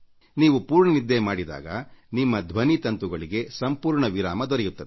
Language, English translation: Kannada, Only when you get adequate sleep, your vocal chords will be able to rest fully